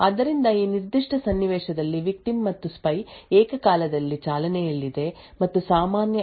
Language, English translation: Kannada, So given this particular scenario we have the victim and the spy running simultaneously and sharing the common L1 cache memory